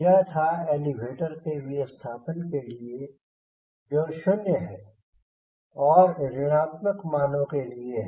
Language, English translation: Hindi, so this was for deflection of elevator, that is zero, and this is for negative values